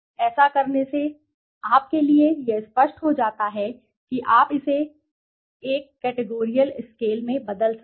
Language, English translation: Hindi, So by doing that it becomes easier for you to convert that in a categorical scale right